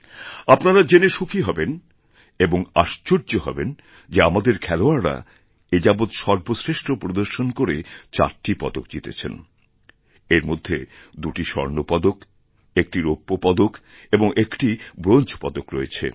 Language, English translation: Bengali, You will be pleasantly surprised to learn that our sportspersons put up their best ever performance this time and won 4 medals including two gold, one silver and one bronze